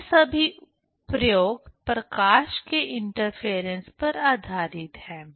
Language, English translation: Hindi, So, all these experiments are based on the interference of light